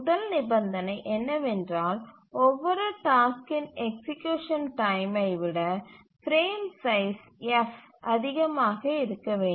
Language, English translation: Tamil, The first condition is that the frame size F must be greater than the execution time of every task